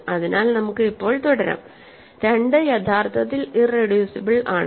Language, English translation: Malayalam, So, let us continue now, 2 is actually irreducible